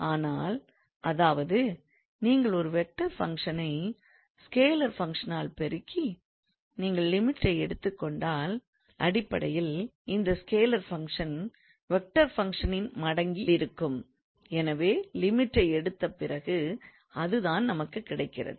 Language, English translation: Tamil, So that means if you have a vector function multiplied by scalar function and if we take the limit then basically limit of the scalar function times limit of the vector function